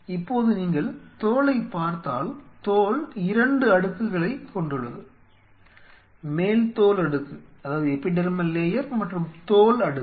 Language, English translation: Tamil, So, my example was skin now if you look at the skin itself skin consists of 2 layers epidermal layer and the dermal layer